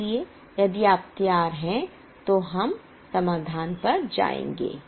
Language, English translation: Hindi, So if you are ready, we will go to the solution